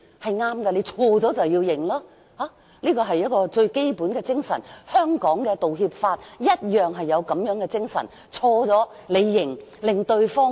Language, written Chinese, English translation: Cantonese, 錯了便承認犯錯，這樣做是對的，是為人的最基本精神，而香港的道歉法同樣高舉這種精神。, It is only right to admit the mistakes one has made . This is one fundamental principle of how one must conduct ones life and Hong Kongs apology legislation upholds precisely this principle